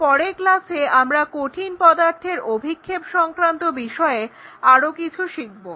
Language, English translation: Bengali, So, thank you very much and in the next class we will learn more about this projection of solids